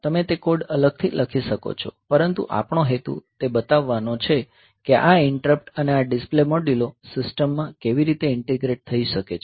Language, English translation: Gujarati, So, you can write that code separately, but our purpose is to show how this interrupt and these display modules they can be integrated into the system